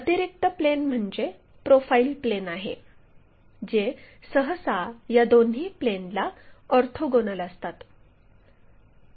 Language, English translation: Marathi, The additional one is our profile plane which usually we consider orthogonal to both the planes that is this one